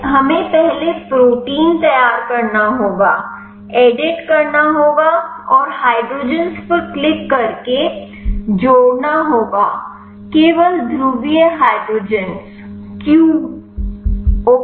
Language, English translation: Hindi, So, we have to prepare the protein first, go to edit and hydre click on hydrogens add polar only q ok